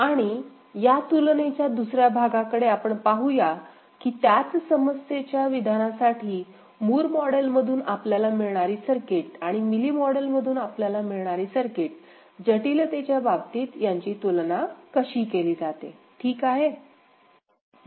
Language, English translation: Marathi, And we shall look into another part of the comparison that for the same problem statement, the circuit that we get from Moore model and the circuit we get from Mealy model, how do they compare in terms of complexity, ok